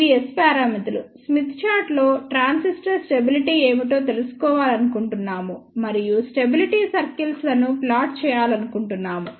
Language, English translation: Telugu, So, these are the S parameters so, we want to find out what is the stability of the transistor and plot stability cycles on smith chart